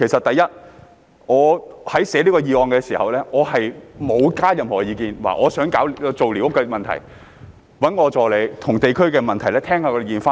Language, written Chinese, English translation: Cantonese, 第一，我草擬此項議案的時候，並沒有加上任何意見，表示我想解決寮屋的問題，我只讓助理就地區問題收集意見。, Firstly when I drafted this motion I had not added any opinion . I just indicated a wish to solve the squatter problem and so let my assistant solicit views on district issues